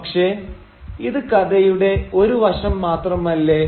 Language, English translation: Malayalam, But that is only one side of the story